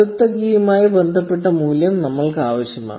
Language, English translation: Malayalam, And the value corresponding to the next key is what we need